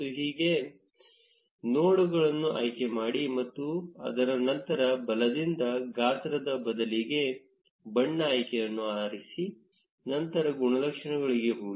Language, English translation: Kannada, Now again, select nodes, and after that from the right, instead of size, select the color option, then go to attributes